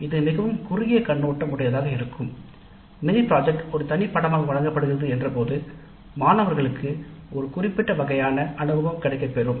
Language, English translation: Tamil, It has a very sharp but limited focus in the sense that the mini project as a separate course is offered to provide a specific kind of experience to the students